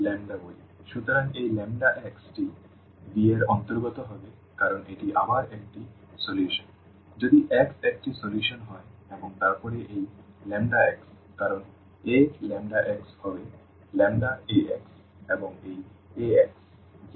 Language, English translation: Bengali, So, this lambda x will also belong to V because this is again a solution if x x is a solution and then this lambda x because A lambda x will be lambda Ax and this Ax is will give 0